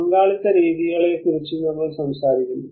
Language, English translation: Malayalam, And we talk about the participatory methods